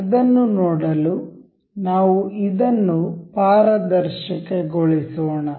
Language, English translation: Kannada, To see that, let us just make this transparent